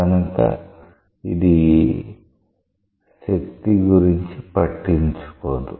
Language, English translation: Telugu, So, this does not bother about the force